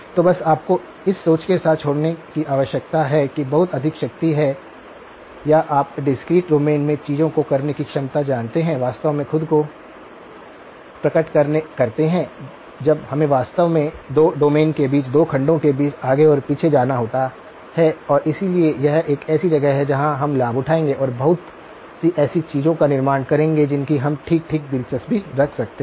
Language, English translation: Hindi, So, just sort of to leave you with the thought that there is a lot of power or you know the ability to do things in the discrete domain really manifest itself when we actually have to go back and forth between the 2 segments between the 2 domains and so this is a place where we will leverage and build a lot of the things that we are interested in okay